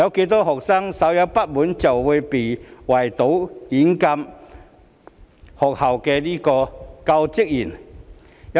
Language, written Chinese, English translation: Cantonese, 多少學生稍有不滿便會圍堵、軟禁學校教職員？, How many slightly dissatisfied students besieged and confined school staff?